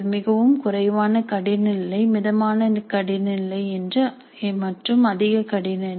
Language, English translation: Tamil, Very low difficulty level, moderate difficulty level, high difficulty level